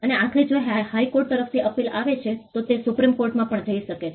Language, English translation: Gujarati, And eventually if there is an appeal from the High Court, it can go to the Supreme Court as well